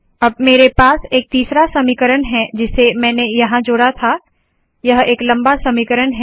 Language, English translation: Hindi, So I have a third equation that I have added here, its a long equation